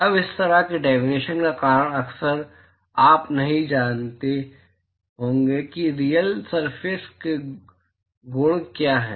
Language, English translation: Hindi, Now the reason for such a definition is often you may not know what are the properties of a real surface